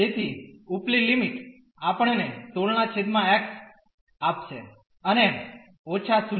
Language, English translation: Gujarati, So, upper limit will give us 16 by x and minus the 0